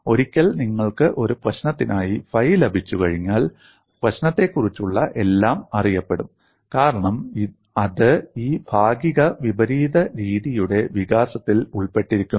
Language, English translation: Malayalam, Once you get the phi for a problem, everything about the problem is known, because that is embedded in the development of this semi inverse method